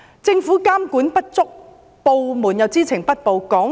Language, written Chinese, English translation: Cantonese, 政府監管不足，部門又知情不報。, There are inadequate supervision by the Government and failure to report by departments